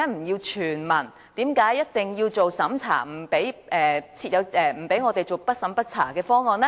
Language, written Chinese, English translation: Cantonese, 為何一定要審查，不准採用"不審不查"的方案呢？, Why must it be means - tested while the non - means - tested option is not allowed?